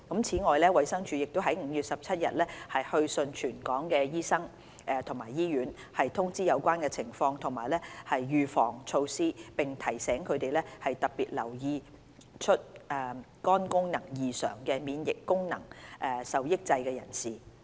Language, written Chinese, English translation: Cantonese, 此外，衞生署已在5月17日去信全港醫生及醫院，通知有關情況及預防措施，並提醒他們特別留意出現肝功能異常的免疫功能受抑制人士。, Furthermore the DH issued a letter to all local doctors and hospitals on 17 May to inform them of relevant situation and preventive measures and remind them to pay special attention to immunocompromised persons with liver function derangement